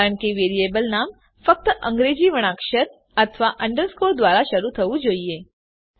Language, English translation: Gujarati, This is because a variable name must only start with an alphabet or an underscore